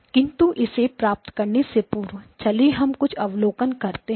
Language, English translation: Hindi, But before we get to that let us make the let us make the following observation